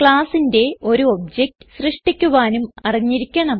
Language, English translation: Malayalam, You must also know how to create an object for the class